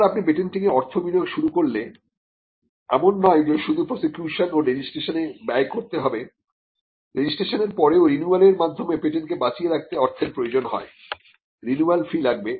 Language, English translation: Bengali, Once you start investing money into patenting then the money is like it will incur expenses not just in the form of prosecution and registration, but also after registration they could be money that is required to keep the patent alive through renewals; there will be renewal fees